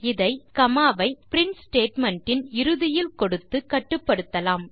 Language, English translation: Tamil, This can be suppressed by using a comma at the end of the print statement